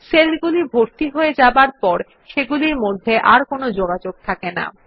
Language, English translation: Bengali, Once they are filled, the cells have no further connection with one another